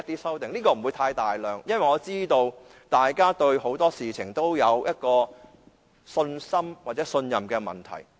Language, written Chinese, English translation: Cantonese, 數量不會太多，因為我知道大家對很多事情欠缺信心或信任。, These amendments will not be too many because I know we lack confidence and trust over many issues